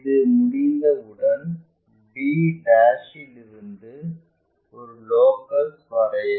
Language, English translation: Tamil, Once, that is done from b ' draw again a locus